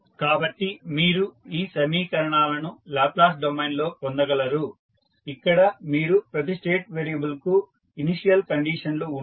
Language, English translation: Telugu, So, you will get these equations in Laplace domain where you have initial conditions for each every state variable